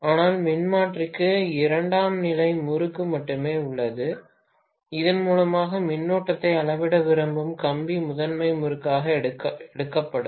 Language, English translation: Tamil, But the transformer has only a secondary winding and the wire through which I want to measure the current itself will be taken as the primary winding, right